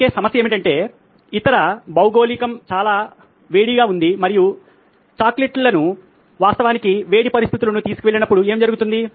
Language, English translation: Telugu, The only problem is that the other geography is very hot and so what happens when chocolates actually are taken to hot conditions